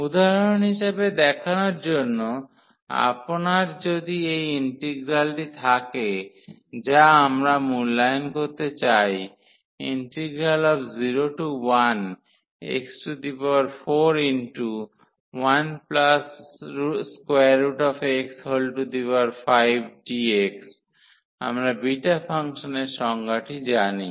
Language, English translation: Bengali, Just an example to so, if you have this integral which we want to evaluate 0 to 1 x power 4 1 minus x up of 5 dx we know the definition of the beta function